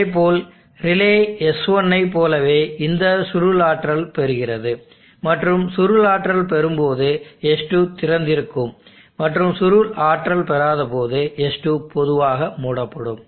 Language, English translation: Tamil, Likewise relay s2 is energized by this coil and as for as one and the coil is energizeds2 is open and the coil is not energized s2 is closed normally closed